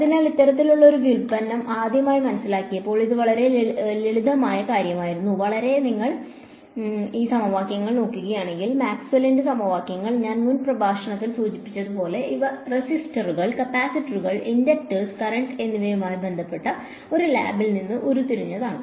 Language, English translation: Malayalam, And so this, when this kind of a derivation was first understood was a very big deal because if you look at these equations Maxwell’s equations like I mentioned in the previous lecture these were derived in a lab dealing with resistors, capacitors, inductance currents